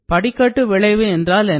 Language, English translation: Tamil, What is staircase effect